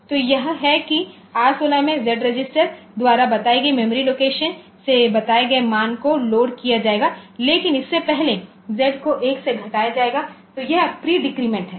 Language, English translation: Hindi, So, it is, in R16 will be loading the value pointed from the memory location pointed to by the Z register, but before that Z will be decremented by 1